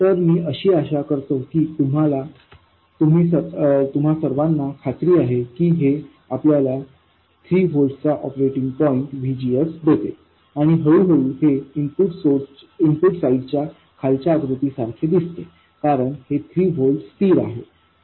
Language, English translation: Marathi, So, I hope you are all convinced that this gives you an operating point VGS of 3 volts and incrementally it resembles the bottom picture on the input side